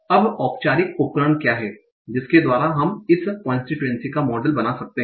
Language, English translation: Hindi, Now, what is a formal tool by which we can model this constituency